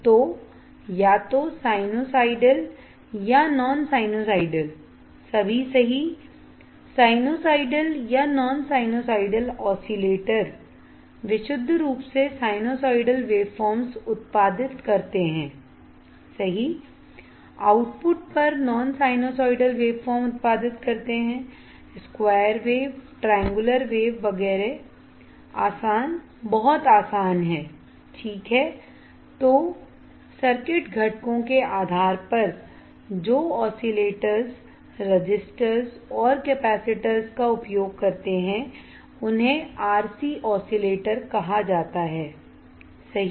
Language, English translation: Hindi, So, either sinusoidal or non sinusoidal, all right, sinusoidal or non sinusoidal oscillators produced purely sinusoidal waveforms, right, at the output non sinusoidal produce waveforms like square triangular wave etcetera easy very easy, right, then based on circuit components oscillators using resistors capacitors are called RC oscillators right resistors R capacitors is RC oscillators